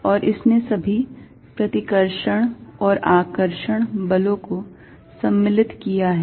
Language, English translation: Hindi, And this covered all the repulsive and attractive forces